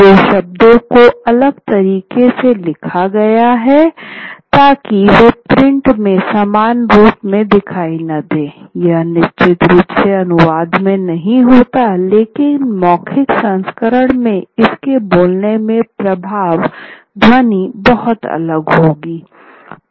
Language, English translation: Hindi, So they wouldn't show up similarly in print, certainly not in translation, but the effect in the speaking of it, in the oral version, the sound be very different